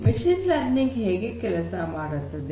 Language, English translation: Kannada, So, how does machine learning work